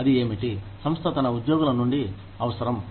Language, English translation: Telugu, What is it that, the company needs, from its employees